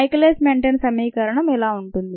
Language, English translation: Telugu, this is the well known michaelis menten equation